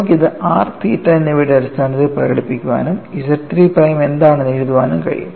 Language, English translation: Malayalam, And you can express this in terms of r n theta and write out what is Z 3 prime